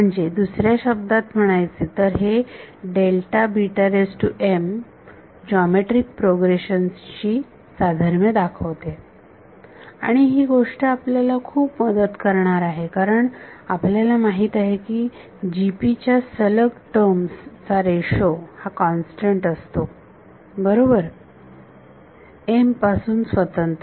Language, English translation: Marathi, So, in other words these delta beta m’s resemble a geometric progression and that is a thing that is going to help us a lot because, we know that the ratio of consecutive terms of a GP is constant right independent of m